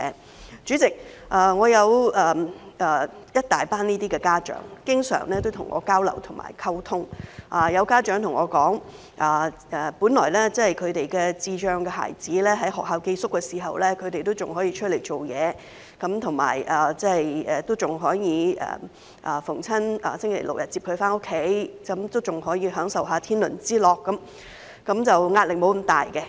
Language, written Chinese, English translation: Cantonese, 代理主席，有一群這些家長經常跟我交流和溝通，有家長對我說，他們的智障孩子在學校寄宿時，他們仍可以出來工作，尚可每逢星期六、日接孩子回家享受天倫之樂，壓力沒有那麼大。, Deputy President I have frequent exchanges and communication with a group of parents . They told me that when their children with intellectual disabilities boarded at school they could go out to work and pick up their children every Saturday or Sunday to have a good time with them at home . The pressure was not that great